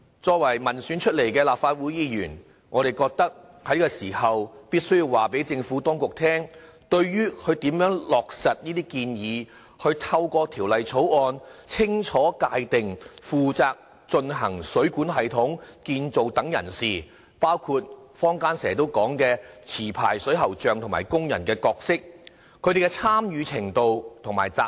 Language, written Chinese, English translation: Cantonese, 作為民選出來的立法會議員，我們覺得在這個時候必須告知政府當局，對政府如何落實這些建議，透過《條例草案》清楚界定負責進行水管系統建造等人士，包括坊間經常說的持牌水喉匠及工人的角色、參與程度和責任。, As an elected Member it is incumbent upon me to give views on the implementation of these proposals in order to clearly define the roles degrees of participation and responsibilities of people engaged in the construction of the plumbing system including licensed plumbers and plumbing workers the best known stakeholders of the trade in society